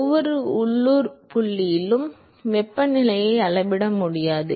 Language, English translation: Tamil, You really cannot measure the temperature at every local point inside